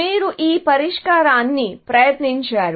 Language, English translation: Telugu, So, you tried this solution